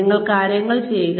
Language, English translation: Malayalam, You do things